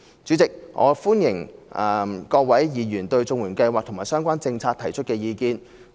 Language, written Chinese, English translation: Cantonese, 主席，我歡迎各位議員對綜援計劃及相關政策提出意見。, President Members are welcome to give their views on the CSSA Scheme and the relevant policies